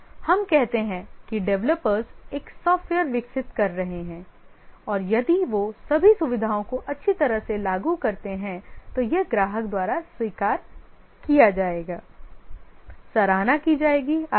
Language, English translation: Hindi, Let's say the developers are developing a software and if they implement all the features well then this will be accepted by the customer appreciated and so on